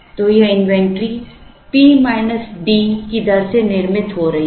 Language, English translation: Hindi, So, this inventory is building up at the rate of P minus D